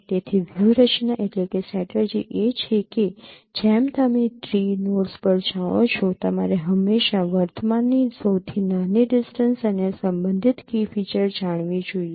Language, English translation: Gujarati, So the strategy is that as you work through the tree notes, you should always throw the current smallest distance and the respective key feature